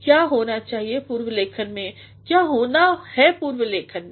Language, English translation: Hindi, What should be done in pre writing, what is to be done in pre writing